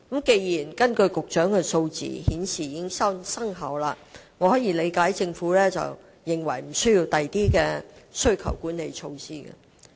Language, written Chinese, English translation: Cantonese, 從局長所述的數字可見，此措施具成效，我能理解政府為何認為無須推出其他需求管理措施。, As evident from the figures cited by the Secretary the measure has been effective . I can thus understand why the Government does not consider it necessary to introduce other demand - side management measures